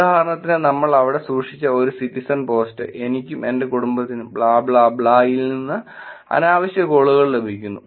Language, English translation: Malayalam, In example which we kept there, a Citizen post: my family and I are getting the unwanted calls from blah blah blah blah